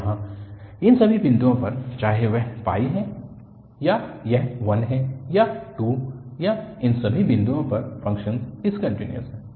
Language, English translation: Hindi, So, all these points here, whether it is pi or it is 1 or 2 or all these points, the function is discontinuous